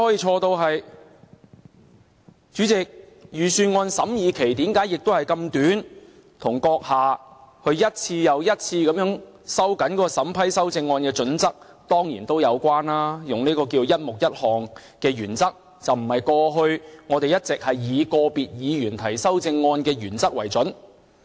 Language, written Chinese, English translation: Cantonese, 主席，預算案審議期這麼短，當然跟閣下一次又一次收緊審批修正案的準則有關，以"一目一項"的原則，而不是過去我們一直以個別議員提出修正案的原則為準。, Chairman the short scrutiny period of the budget is of course relevant to your tightening up of the approval criteria for amendments by adopting the principle of one amendment to one subhead on an overall basis instead of an individual Member basis